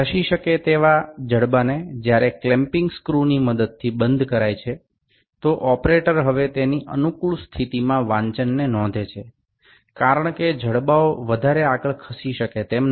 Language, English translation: Gujarati, The moveable jaw when it is locked using the clamping screw, the operator now note on the reading in a convenient position because the jaws will not move further